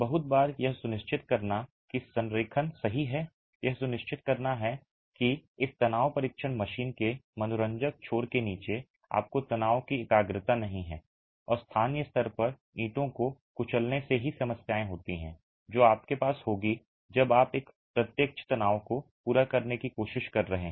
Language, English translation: Hindi, Very often ensuring that the alignment is right, ensuring that under the gripping ends of this tension testing machine you don't have stress concentration and crushing locally of the bricks itself are problems that you will have when you are trying to carry out a direct tension test with brick units